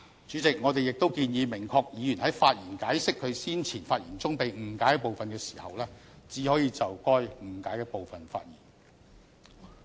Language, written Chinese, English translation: Cantonese, 主席，我們亦建議明確議員在發言解釋其先前發言中被誤解的部分時，只可就被誤解的部分發言。, President we also propose an amendment to provide that a Member who explains the part of his speech which has been misunderstood shall only speak on the part that has been misunderstood